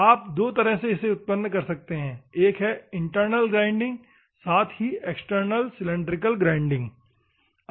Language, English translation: Hindi, You can generate two ways; one is internal grinding, as well as external cylindrical grinding